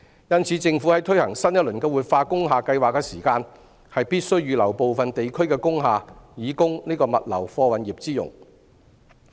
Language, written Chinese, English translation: Cantonese, 因此，政府在推行新一輪的活化工廈計劃時，必須預留部分地區的工廈以供物流貨運業之用。, Hence when the Government launches a new round of revitalization scheme for industrial buildings it must reserve some industrial buildings in certain districts for freight logistics use